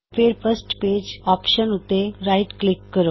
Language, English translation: Punjabi, Then right click on the First Page option